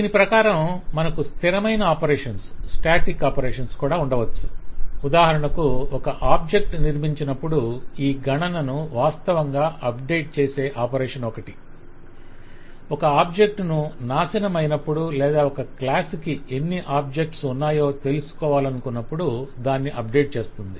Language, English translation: Telugu, Accordingly, we could have operations which are also static, for example the operation which will actually update this count when an object is constructed, will update it when an object is distracted or when you want to know how many objects of a class exist, and so on